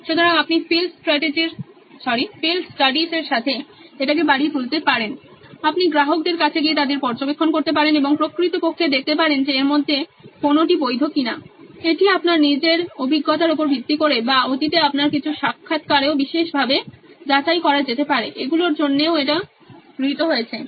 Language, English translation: Bengali, So you can also augment this with field studies, you can go to customers observe them and actually see if any of this is valid, this is based on your own experiences or some of the interviews that you had in the past can also go particularly check for these as well that is also accepted